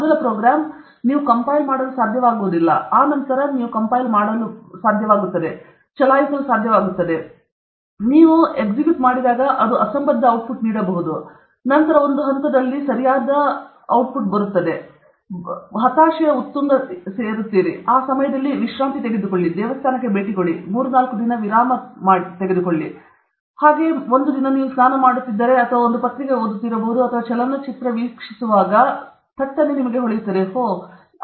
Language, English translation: Kannada, First, first the program, you will not be able to compile; then, you will be able to compile, you will be able to run; when you are running, it gives garbage; then one stage will come, I have done everything, this stupid fellow he is not giving the correct answer; that peak of frustration, at that time you just take a break, and visit a temple or just take three four days break do something else; then, when you are taking bath or you may be reading a newspaper or you are watching a movie, ah